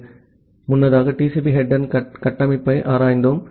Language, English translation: Tamil, So, earlier we have looked into the structure of the TCP header